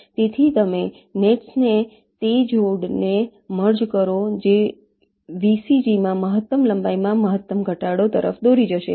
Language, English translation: Gujarati, ok, so you merge those pair of nets which will lead to the maximum reduction in the maximum length in vcg